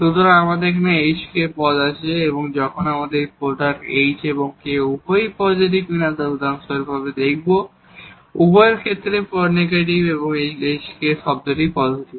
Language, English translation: Bengali, So, we have this 2 hk terms, when this product h and k whether if both are positive for example, of both are negative this hk term is positive